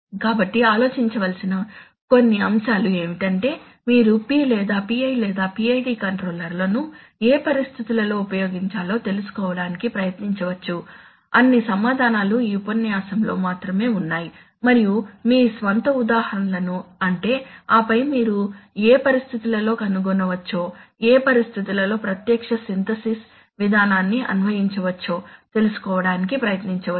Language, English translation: Telugu, So some of the points to ponder for you or is that, you can try to find out in what situations P/PI/PID controllers are to be used, all the answers are in this lecture only and you can try to find out your own examples of processes and then under what conditions you can find, under what conditions one can apply a direct Synthesis procedure